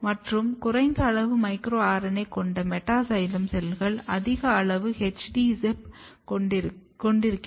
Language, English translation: Tamil, And meta xylem cells which has low amount of micro RNA has high amount of HD ZIP